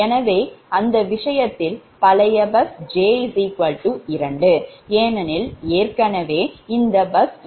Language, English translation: Tamil, so bus, in that case old bus, j is equal to two, because already bus is considered, so that bus will never get new bus